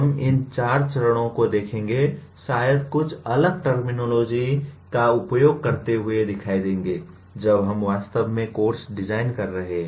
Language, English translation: Hindi, We will see these 4 stages in some maybe using different terminology will keep appearing when we are designing actually the course